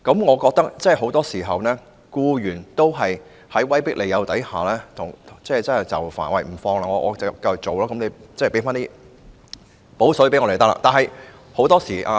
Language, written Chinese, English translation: Cantonese, 我認為，很多時候，僱員在威迫利誘下就範，在勞工假期上班，只要求僱主"補水"。, I think that employees very often succumb to intimidation and inducement and work on labour holidays provided that the employers pay them compensatory wages